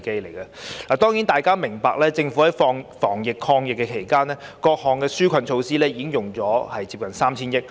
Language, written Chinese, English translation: Cantonese, 大家都明白，政府在防疫抗疫期間推出各項紓困措施，已動用接近 3,000 億元。, We are all aware of the fact the Government has spent nearly 300 billion on various relief measures during the anti - epidemic period